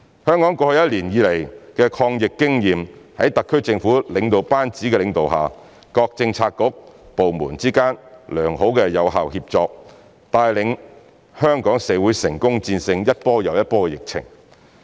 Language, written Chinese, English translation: Cantonese, 香港過去一年多以來的抗疫經驗，在特區政府領導班子的領導下，各政策局/部門之間良好有效協作，帶領着香港社會成功戰勝一波又一波的疫情。, As Hong Kong has gained experience in fighting the epidemic under the leadership of the SAR Government over the past year or so good and effective collaborations have been achieved among all Policy Bureaux and departments and Hong Kong has overcome wave after wave of epidemic outbreaks